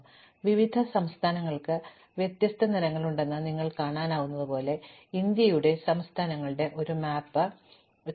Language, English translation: Malayalam, So, here is a map of the states of India, as you can see the different states have different colors